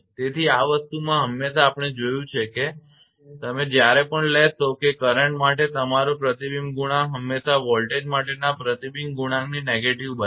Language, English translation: Gujarati, So, in this thing this is always we have seen that your whenever you will take that your reflection coefficient for the current is always negative of the reflection coefficient for the voltage